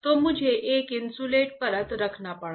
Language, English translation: Hindi, So, I had to havea insulating layer